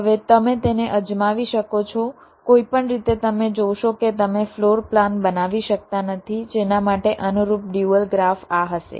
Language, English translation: Gujarati, now you can try it out in any way, you will see that you cannot draw a floor plan for which the corresponds dual graph will be this